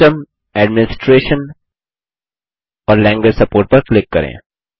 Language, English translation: Hindi, Click on System, Administration and Language support